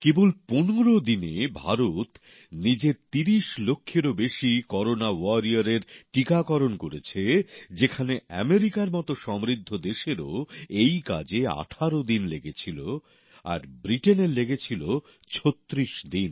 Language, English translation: Bengali, In just 15 days, India has vaccinated over 30 lakh Corona Warriors, whereas an advanced country such as America took 18 days to get the same done; Britain 36 days